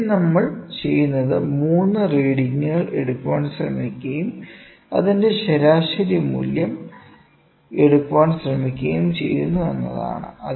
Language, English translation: Malayalam, So, here also what we do is we try to take 3 readings and then we try to take the average value of it